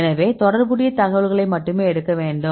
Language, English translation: Tamil, So, we need to take the only the relevant information